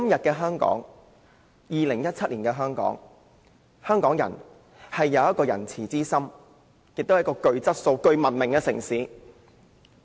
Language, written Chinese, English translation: Cantonese, 在2017年的香港，香港人有仁慈之心，香港也是一個具質素和文明的城市。, In Hong Kong nowadays Hong Kong people are kind - hearted and Hong Kong is a quality civilized city